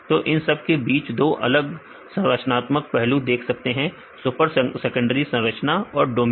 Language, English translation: Hindi, So, in between that there are two different structural aspects you can see the super secondary structures plus the domains